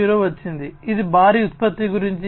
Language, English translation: Telugu, 0, which was about mass production